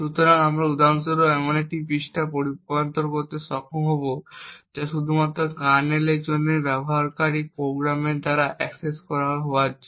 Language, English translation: Bengali, So, we would for example be able to convert a page which is meant only for the kernel to be accessible by user programs also